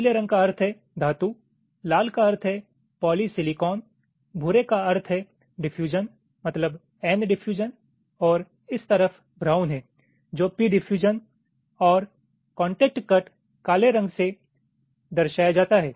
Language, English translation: Hindi, blue means metal, red means polysilicon, grey means diffusion, mean n diffusion, and on this side brown is the convention for p diffusion and contact cuts, black